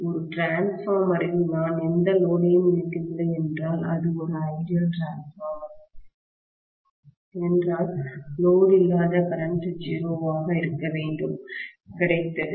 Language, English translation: Tamil, In a transformer if I am not connecting any load, if it is an ideal transformer, the no load current should be 0, got it